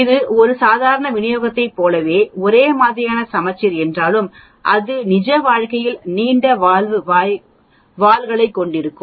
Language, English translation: Tamil, Although it is uniform symmetric just like a normal distribution but it will have longer tails in real life